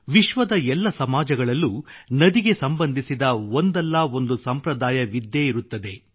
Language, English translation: Kannada, In every society of the world, invariably, there is one tradition or the other with respect to a river